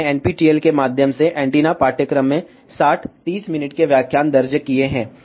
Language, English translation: Hindi, I have recorded Sixty 30 minutes lectures in the Antenna course through NPTEL